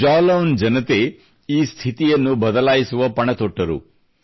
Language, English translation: Kannada, The people of Jalaun took the initiative to change this situation